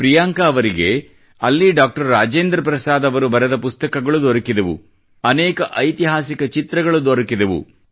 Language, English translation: Kannada, There, Priyanka ji came across many books written by Dr Rajendra Prasad and many historical photographs as well